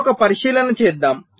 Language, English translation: Telugu, fine, now let us make an observation